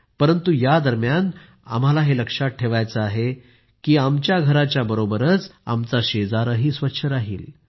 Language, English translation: Marathi, But during this time we have to take care that our neighbourhood along with our house should also be clean